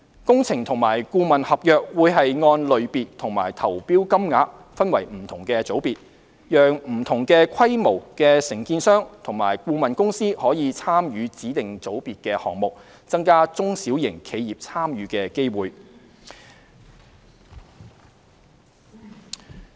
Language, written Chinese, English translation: Cantonese, 工程和顧問合約會按類別和投標金額分為不同組別，讓不同規模的承建商和顧問公司可參與指定組別的項目，增加中小型的參與機會。, Engineering and consultancy contracts will be divided into different groups by type and tender amount such that contractors and consultants of different sizes can participate in projects in designated groups to increase opportunities for small and medium contractors and consultants to participate